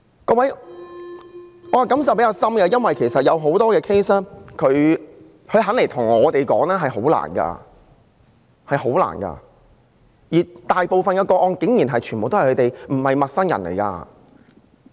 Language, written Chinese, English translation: Cantonese, 各位，我的感受比較深，因為很多個案的事主願意向我們說出經歷，這是十分困難的，而大部分個案中，施虐者竟然全都不是陌生人。, Honourable Members I feel more deeply because the victims in many cases are willing to tell us about their experiences which is very difficult to do and in most cases the abusers are outrageously not strangers at all